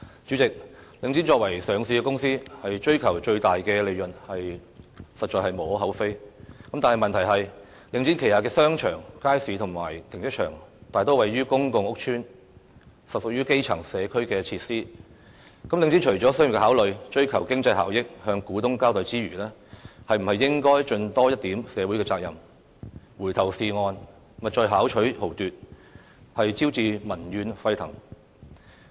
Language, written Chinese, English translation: Cantonese, 主席，領展作為上市公司，追求最大利潤實在無可厚非，但問題是領展旗下的商場、街市和停車場大多位於公共屋邨，實屬於基層社區設施，領展除了商業考慮、追求經濟效益、向股東交代之餘，是否應該盡多一點社會責任，回頭是岸，勿再巧取豪奪，招致民怨沸騰？, President it gives no cause for criticism for Link REIT being a listed company to operate with the aim of profit maximization but the problem is that the shopping malls markets and car parks under Link REIT are mostly located in public housing estates and they are indeed community facilities for the grass roots . Apart from making business consideration seeking economic benefits and fulfilling its responsibility to the shareholders should Link REIT not take up more social responsibilities and turn back rather than continuously reaping profit by hook or by crook and hence arousing seething public anger?